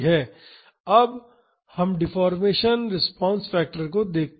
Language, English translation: Hindi, Now, let us see the deformation response factor